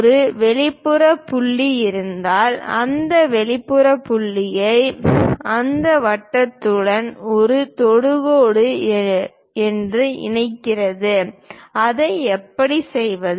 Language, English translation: Tamil, And also if an exterior point is there, connecting that exterior point as a tangent to that circle, how to do that